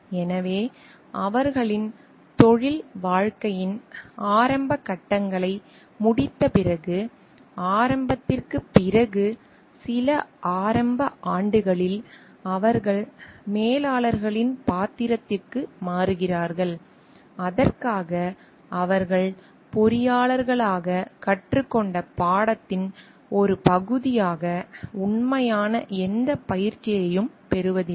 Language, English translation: Tamil, So, after their completion of their early stages in their career, initial after, some initial years they move into the role of managers; for which they do not get actual any training as a part of the course that they have learnt as engineers